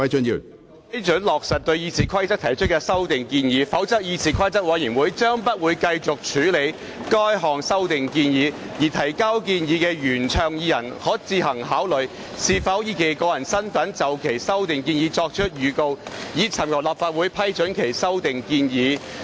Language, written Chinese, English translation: Cantonese, 批准落實對《議事規則》的修訂建議，否則議事規則委員會將不會繼續處理該項修訂建議，而原倡議人可自行考慮是否以個人身份就其修訂建議作出預告，尋求立法會主席批准提出修訂建議。, The proposal to amend RoP has been approved otherwise CRoP would not deal with that amendment proposal . Thus the mover may consider giving notice to move the amendment proposal in his own capacity and seek the Presidents approval of his proposals